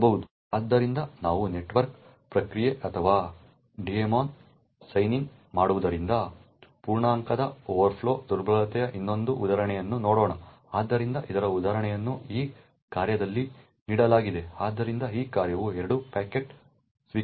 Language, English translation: Kannada, So let us look at another example of the integer overflow vulnerability due to sign in a network process or daemon, so an example of this is given in this function over here so what this function does is that it accepts 2 packets 1 is buffer1 and buffer2